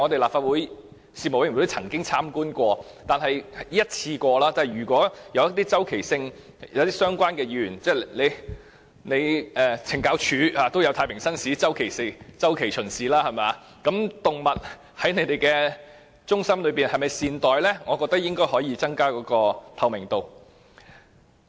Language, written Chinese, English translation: Cantonese, 立法會的事務委員會曾經參觀過一次，即使懲教署也有太平紳士作周期性巡視，所以如果可以周期性地讓議員巡視動物在領養中心內有否被善待，我覺得應該有助增加透明度。, A panel of the Legislative Council visited AMCs once . Even the Correctional Services Department would arrange Justices of the Peace to visit prisons on a regular basis why cant visits be made to AMCs? . Therefore if we could arrange regular visits of Members to AMCs to see if the animals are well - treated this would help enhance the transparency